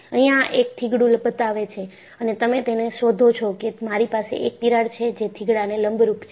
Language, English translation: Gujarati, And, this shows a patch and you find, I have a crack and the patch is put perpendicular to that